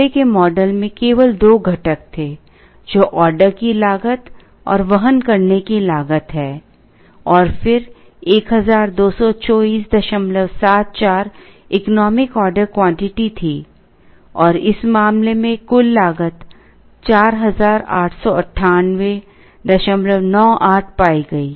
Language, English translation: Hindi, The earlier model had only two components which is the order cost and the carrying cost, and then the economic order quantity was 1224